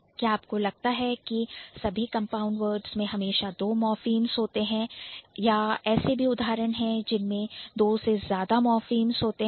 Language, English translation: Hindi, Do you think all the compound words will always have two morphemps or there are instances where it might involve more than two